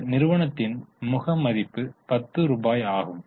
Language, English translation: Tamil, Face value of the company is rupees 10